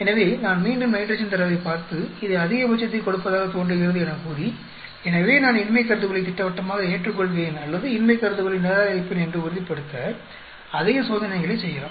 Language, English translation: Tamil, So, do I again look at the nitrogen data and say this looks like giving maximum, so maybe I do more experiments to be sure whether categorically I will accept the null hypothesis or reject the null hypothesis